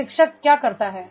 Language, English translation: Hindi, What a trainer does